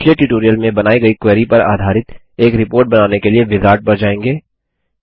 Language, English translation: Hindi, We will go through the wizard to create a report based on a query we created in the last tutorial